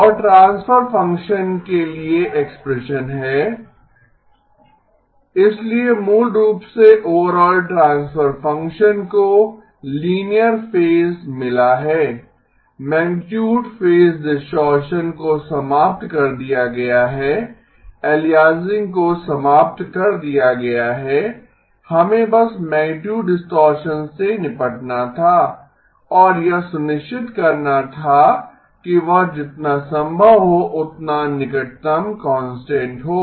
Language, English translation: Hindi, So basically that overall transfer function has got linear phase, magnitude phase distortion is eliminated, aliasing eliminated, we just had to deal with the magnitude distortion and make sure that is as close to constant as possible